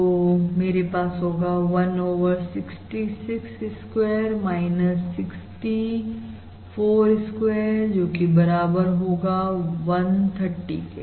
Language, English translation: Hindi, And 1 over 66 square minus 64 square is 1 over 66 minus 64